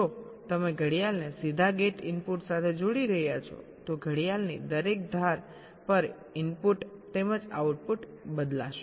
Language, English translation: Gujarati, now, if you are directly connecting the clock with the gate input, so the input as well as the output will be changing at every edge of the clock